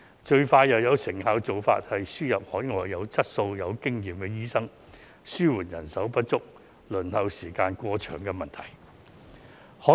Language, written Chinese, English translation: Cantonese, 最快又有成效的做法，便是輸入海外有質素和經驗的醫生，以紓緩人數不足和輪候時間過長的問題。, The fastest and most efficient way is to import qualified and experienced overseas doctors in order to alleviate the manpower shortage and long waiting time